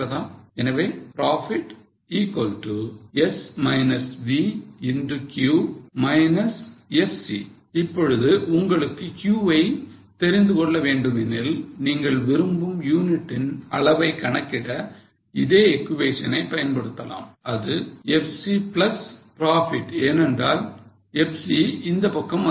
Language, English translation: Tamil, Now if you want to know Q you can use the same equation for calculating desired level of units which is FC plus profit because FC will go on this side